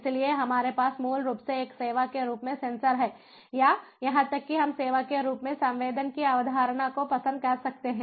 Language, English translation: Hindi, so what we have is basically sensors as a service, or even we can think of as the concept of sensing as a service